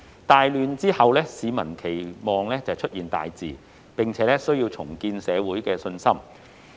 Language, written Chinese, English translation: Cantonese, 大亂之後，市民期待出現大治，並且需要重建社會信心。, People are looking forward to good order after serious chaos and there is also a need to rebuild public confidence